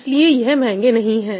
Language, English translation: Hindi, So, they are not so expensive